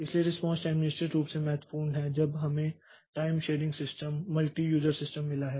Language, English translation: Hindi, So, response time is definitely important when we have got this time sharing system, multi user system